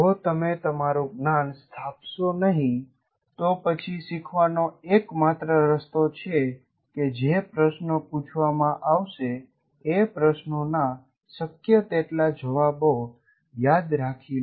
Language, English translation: Gujarati, If you don't construct your knowledge, the only way you can rest, you are supposed to be learning is to remember the answers to questions that are going to be asked for as many questions as possible